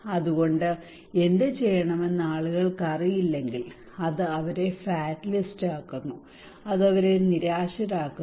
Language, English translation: Malayalam, So if people do not know what to do it makes them fatalist, it makes them frustrated